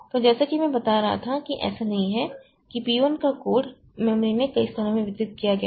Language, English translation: Hindi, So, as I was telling that it is not that the code of P1 is distributed over a number of regions in the memory